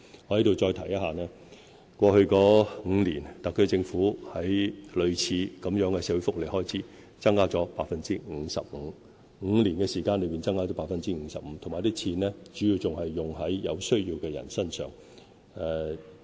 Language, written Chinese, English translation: Cantonese, 我在這裏再提一下，過去5年，特區政府在類似的社會福利開支增加了 55%， 是在5年間增加了 55%， 而且這些開支主要用於有需要的人身上。, Allow me to reiterate that over the past five years the expenditure of the SAR Government on similar social welfare services has increased by 55 % an increase of 55 % in five years and the money has been mainly spent on the needy